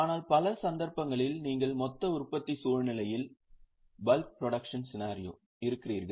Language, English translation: Tamil, But in many cases what happens, you are into a bulk production scenario